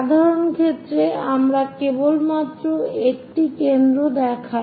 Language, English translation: Bengali, For simple case, we are just showing only one of the foci